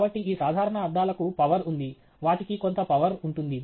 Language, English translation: Telugu, So, normal glasses these have power, they have some power